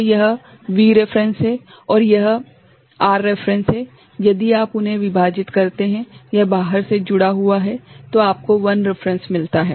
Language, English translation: Hindi, So, this is V reference and this is R reference, if you divide by them ok this is connected from outside, then you get I reference